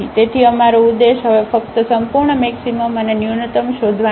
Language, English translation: Gujarati, So, our aim is now to find only the absolute maximum and minimum